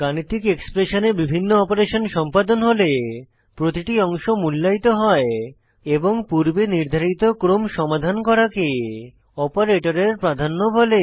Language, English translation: Bengali, When several operations occur in a mathematical expression, each part is evaluated and resolved in a predetermined order called operator precedence